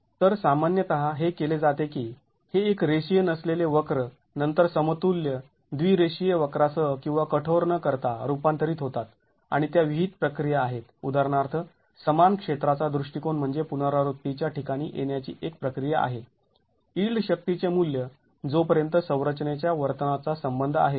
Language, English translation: Marathi, So, what is typically done is that this nonlinear curve is then converted into an equivalent bilinear curve with or without hardening and there are prescribed procedures for example equal area approach is one of the procedures to arrive at iteratively a value of yield force as far as the behavior of the structure is concerned